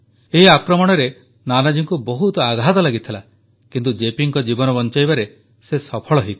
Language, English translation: Odia, Nanaji Deshmukh was grievously injured in this attack but he managed to successfully save the life of JP